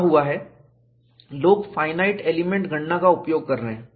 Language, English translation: Hindi, What has happened is, people are using finite element calculation